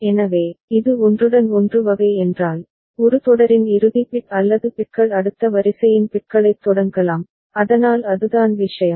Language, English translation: Tamil, So that means, if it is overlapped type, then final bit or bits of a sequence can be start bits of next sequence ok, so that is the thing